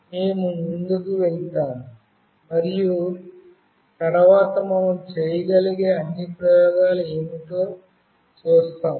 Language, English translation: Telugu, We will move on and we will see that what all experiments we can do next